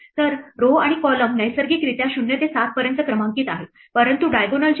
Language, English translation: Marathi, So, rows and columns are naturally numbered from 0 to 7, but how about diagonals